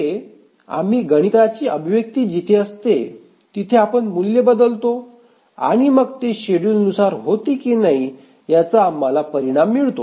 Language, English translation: Marathi, Can we have a mathematical expression where we substitute values and then we get the result whether it is schedulable or not